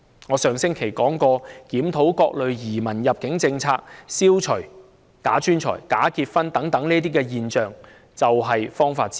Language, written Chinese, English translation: Cantonese, 我在上星期說過，檢討各類移民及入境政策，消除假專才和假結婚等現象，就是方法之一。, As I said last week one of the solutions is to review various immigration and admission policies to eliminate phenomena such as bogus professionals and bogus marriages